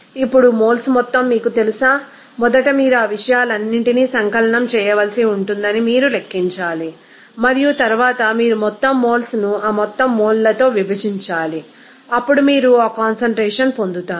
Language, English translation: Telugu, Now, what would be the total you know amount of moles that first you have to calculate that you have to sum it up all those things and then you have to divide individual moles with that total moles then you will get that concentration